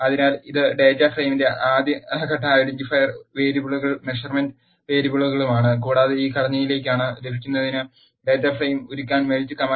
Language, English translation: Malayalam, So, this is the first step identifier variables and measurement variables of the data frame and uses the melt command to melt the data frame to get to this structure